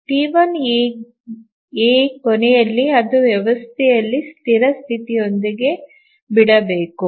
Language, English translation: Kannada, So T1A, at the end of T1A it must leave the system with a consistent state